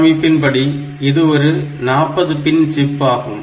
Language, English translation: Tamil, Physically it is a forty pin chip